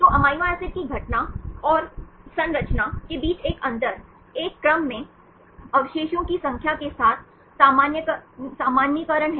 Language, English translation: Hindi, So, a difference between amino acid occurrence and composition is normalization with the number of residues in a sequence